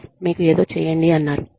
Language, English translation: Telugu, Boss says, you do something